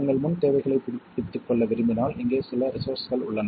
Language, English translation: Tamil, And here are some resources if you want to brush up your prerequisites